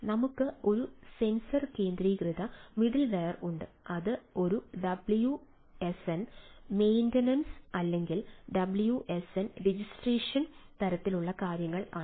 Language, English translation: Malayalam, we have a sensor centric ah middleware which is a wsn maintenance, wsn registration type of things